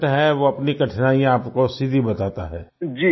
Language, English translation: Hindi, And the one who is a patient tells you about his difficulties directly